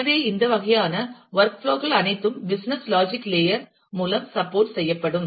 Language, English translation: Tamil, So, all these kind of work flows will be supported by the business logic layer